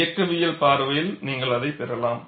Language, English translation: Tamil, From mechanics point of view also, you could get this